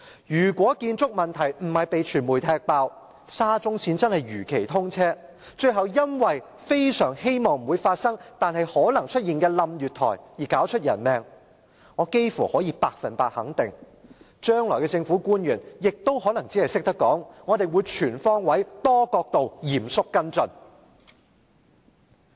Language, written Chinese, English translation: Cantonese, 如果建築問題沒有被傳媒揭露，沙中線真的如期通車，最後因為月台倒塌——非常希望這不會發生——導致人命傷亡，我幾乎可以百分之一百肯定，將來的政府官員只會說："我們會全方位、多角度、嚴肅跟進。, If construction problems had not been revealed by the media and if SCL was commissioned as scheduled a platform might have been collapsed―I very much hope that this will not happen―resulting in casualties . I can say for sure that by then government officials would only say we will seriously follow up on all fronts and from various perspectives